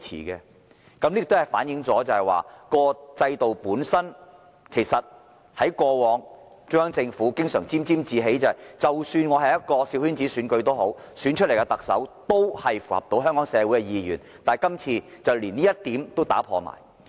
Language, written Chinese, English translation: Cantonese, 這亦反映出連中央政府過往經常感到沾沾自喜，認為即使是小圈子選舉，按制度本身選出來的特首也能符合香港社會意願這一點，在今次選舉也被打破了。, The Central Government is always complacent about the fact that though a small circle election former Chief Executives elected under the established system can still be regarded as socially acceptable but the tradition has been broken in the Election held this year